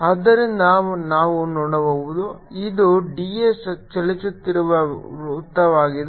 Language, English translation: Kannada, so so we can see this is the circle at which d s is moving